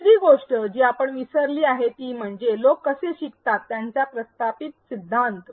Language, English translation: Marathi, The other thing we have forgotten is the established theories of how people learn